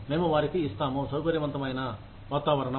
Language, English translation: Telugu, We will give them a comfortable working environment